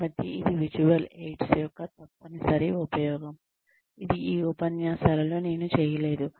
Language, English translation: Telugu, So, that is essential use of visual aids, which is something, I have not done, very much in these lectures